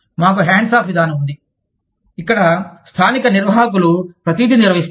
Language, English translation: Telugu, We have the hands off approach, where the local managers, handle everything